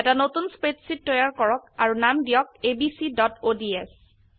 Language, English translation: Assamese, Lets create a new spreadsheet and name it as abc.ods